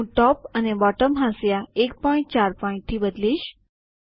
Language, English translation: Gujarati, I will change Top and Bottom margins to 1.4pt